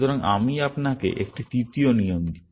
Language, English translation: Bengali, So, let me just give you a third rule